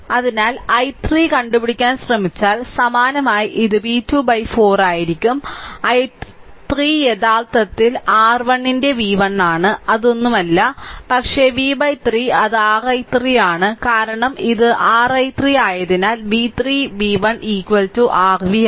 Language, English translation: Malayalam, So, it will be v 2 by 4 right similarly if you try to your find out i 3, i 3 will be actually is equal to it is v 1 by your 3 that is nothing, but v by 3 that is your i 3 because this is your i 3 right because v 3 v 1 is equal to your v